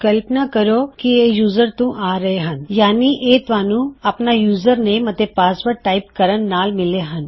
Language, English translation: Punjabi, So if you imagine these are coming from the user so it has been submitted as you typed your username and password in